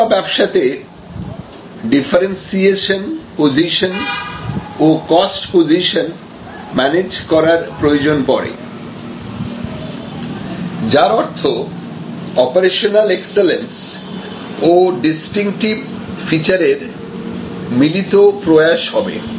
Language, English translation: Bengali, In that sense in service businesses we often need to manage the differentiation position and the cost position; that means operational excellence as well as distinctive features in a combined manner